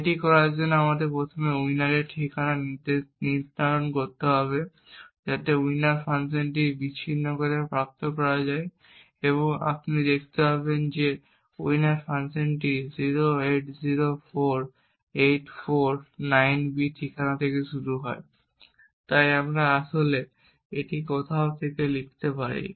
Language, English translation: Bengali, In order to do this we would first require to determine the address of winner so that would can be obtained by disassemble of the winner function and you would see that the winner function starts at the address 0804849B, so we could actually write this down somewhere